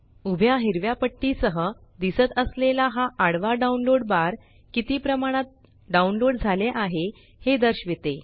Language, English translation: Marathi, This horizontal download bar with the green vertical strips shows how much download is done